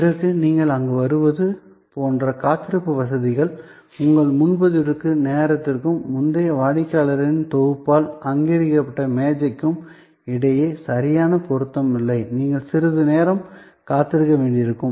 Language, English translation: Tamil, Then, waiting facilities like you arrive there, there is not an exact match between your time of booking and the table occupied by the previous set of customers, you may have to wait for little while